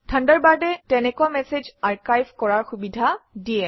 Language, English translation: Assamese, Thunderbird lets you archive such messages